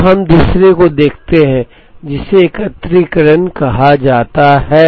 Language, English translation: Hindi, So, we look at the second one, which is called aggregation